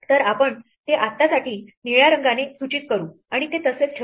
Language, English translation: Marathi, So, we will leave it blue for now